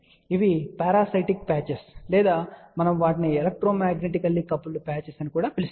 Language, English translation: Telugu, These are the parasitic patches or we also call them electromagnetically coupled patches